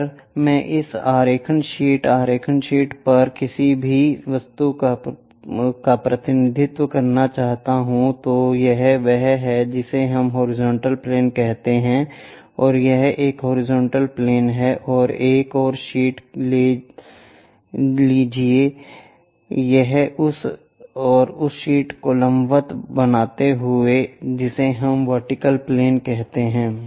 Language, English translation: Hindi, If I would like to represent any object on this drawing sheet, the drawing sheet, this is what we call horizontal plane and this one this is horizontal plane and take one more sheet make it perpendicular to that and that sheet what we call vertical plane